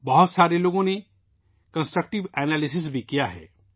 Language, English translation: Urdu, Many people have also offered Constructive Analysis